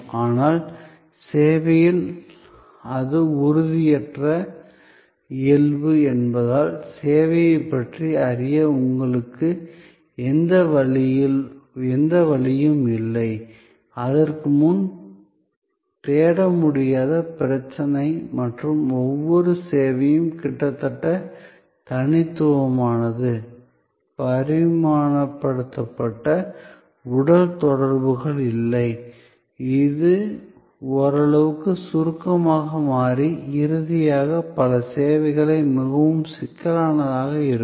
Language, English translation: Tamil, But, in service because of it is intangible nature you do not have any way of knowing about the service before that is the non searchability problem and each service being almost unique there is no dimensionalized, physical correspondence and therefore, it becomes somewhat abstract and lastly many services can be quite complex